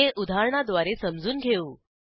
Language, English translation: Marathi, Let us understand this with an example